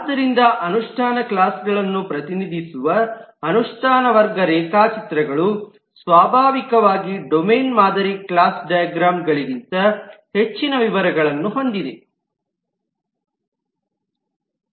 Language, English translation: Kannada, So implementation class diagrams, which represent implementation classes, naturally have far more details than the domain model class diagrams